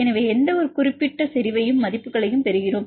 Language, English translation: Tamil, So, we get the values any particular concentration